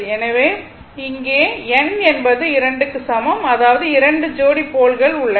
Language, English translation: Tamil, So, here in this case you have p is equal to 2, that is two pairs of poles right